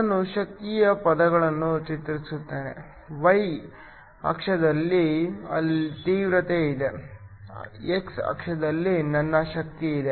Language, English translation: Kannada, Let me plot the intensity verses the energy, y axis I have intensity, x axis I have energy